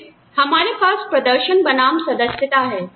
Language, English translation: Hindi, Then, we have performance versus membership